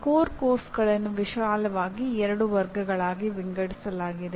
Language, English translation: Kannada, Core courses are classified into broadly two categories